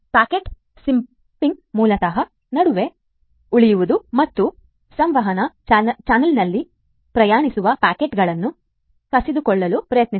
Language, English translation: Kannada, Packet sniffing; basically staying in between and trying to sniff the packets that are traveling, we in a communication channel